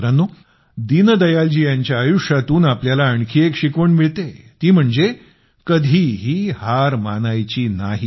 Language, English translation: Marathi, from the life of Deen Dayal ji, we also get a lesson to never give up